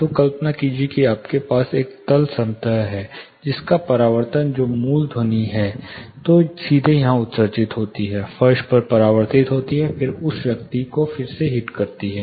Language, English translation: Hindi, So, imagine you have a floor plane, the first reflection the sound, which is directly emitted here, gets reflected on the floor, and then hit’s the person again